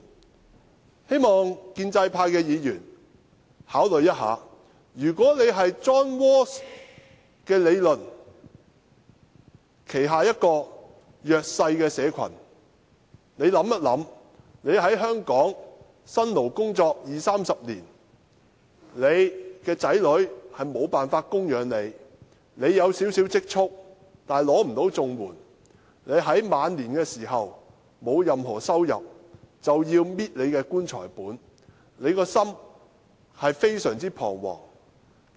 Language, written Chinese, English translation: Cantonese, 我希望建制派的議員考慮一下，如果他們是 John RAWLS 的理論所指的弱勢社群的一員，試想想自己在香港辛勞工作二三十年，但子女無法供養自己；自己有少許積蓄，卻不能領取綜援；自己在晚年時沒有任何收入，要靠"棺材本"維生，省吃儉用，心情將非常彷徨。, I hope Members from the pro - establishment camp may give it some thought . They may try to imagine that they are among the disadvantaged referred to by John RAWLS in his theory . If they find that after two or three decades of toil in Hong Kong their children are unable to support them; they have a little savings yet ineligible to receive CSSA; with no income they have to live on their funeral money and lead a frugal life in their twilight years they can hardly have any sense of security